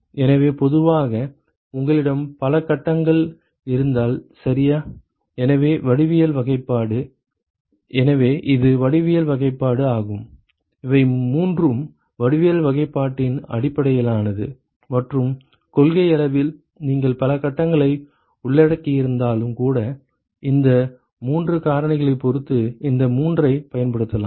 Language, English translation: Tamil, So, typically when you have multiple phases ok, so, geometric classification: so this is geometry classification these three are based on geometric classification and in principle even when you have multiple phases involved you could use these three depending upon those three factors that we actually discussed a short while ago